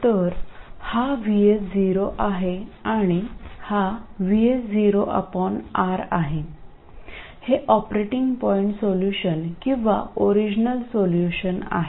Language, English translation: Marathi, So this is Vs 0 and this is Vs 0 by R and this is the operating point solution or the original solution